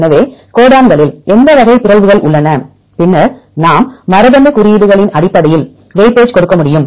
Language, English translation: Tamil, So, which type of mutations in the codons, then we can give weightage based on the genetic codes